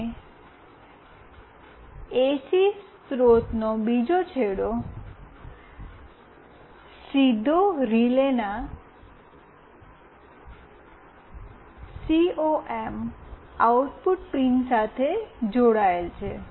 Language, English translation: Gujarati, And another end of the AC source is directly connected with the COM output pin of the relay